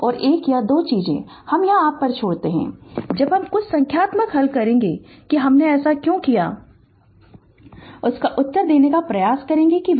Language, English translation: Hindi, And one or two things I leave it up to you when when we will solve some numerical why we have done so so you will try to answer that that they are